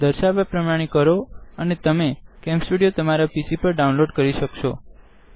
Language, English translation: Gujarati, Follow the instructions and you will have downloaded CamStudio on your PC